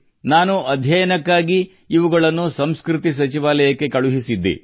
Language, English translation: Kannada, I had sent them to the Culture Ministry for analysis